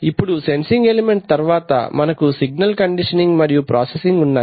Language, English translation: Telugu, So we have a sensing element now after the sensing element we have signal conditioning and processing